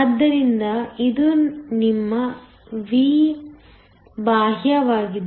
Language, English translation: Kannada, So, this is your V external